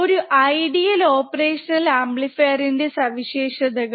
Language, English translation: Malayalam, A few of the characteristics of an ideal operational amplifier